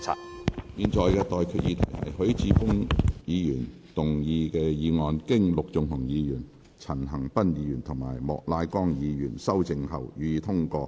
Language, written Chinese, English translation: Cantonese, 我現在向各位提出的待決議題是：許智峯議員動議的議案，經陸頌雄議員、陳恒鑌議員及莫乃光議員修正後，予以通過。, I now put the question to you and that is That the motion moved by Mr HUI Chi - fung as amended by Mr LUK Chung - hung Mr CHAN Han - pan and Mr Charles Peter MOK be passed